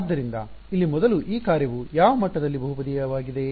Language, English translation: Kannada, So, first of all this function over here what degree of polynomial is it